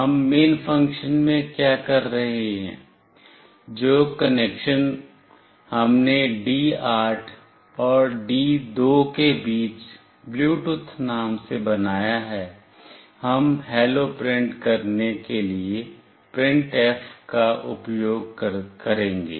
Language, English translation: Hindi, In main what we are doing, the connection which we have made with the name Bluetooth between D8 and D2, we will use printf to print “Hello”